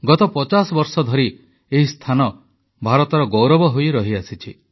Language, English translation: Odia, For the last five decades, it has earned a place of pride for India